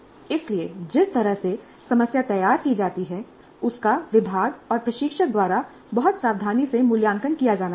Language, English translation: Hindi, So the way the problem is formulated has to be very carefully evaluated by the department and the instructor and the problem must be formulated in a fuzzy way